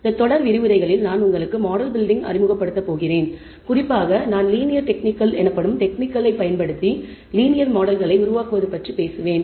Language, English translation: Tamil, In this series of lectures I am going to introduce to you model building; in particular I will be talking about building linear models using a techniques called regression techniques